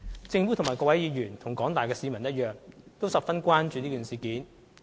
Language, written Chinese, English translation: Cantonese, 政府與各位議員，以及廣大市民一樣，亦十分關注事件。, Like Members and the general public the Government is also very concerned about the incident